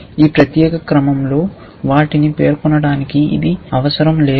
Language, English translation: Telugu, You do not have to specify them in this particular order